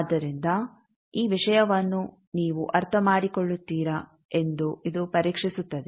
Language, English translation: Kannada, So, this will test you whether you will understand this thing